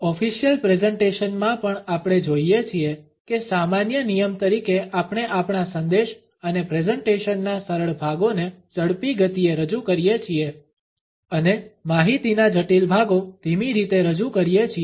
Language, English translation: Gujarati, Even in official presentation we find that as a general rule we present the easy portions of our message and presentation in a faster speed and the complicated parts of the information are passed on in a slow manner